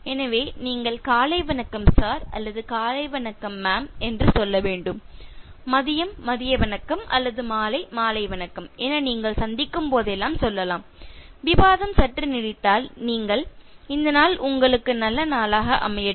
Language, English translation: Tamil, So then you should say “Good Morning Sir” or “Good Morning Ma’am and whenever you meet if it is afternoon “Good Afternoon” or evening “Good Evening” and then if the discussion is slightly prolonged and you can end by saying “Have a Nice Day